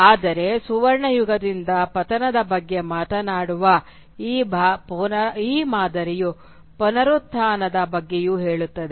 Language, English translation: Kannada, But this pattern which talks about a fall from the golden age, also talks about a regeneration